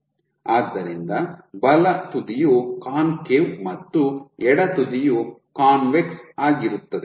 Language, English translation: Kannada, So, right most end is concave left most end is convex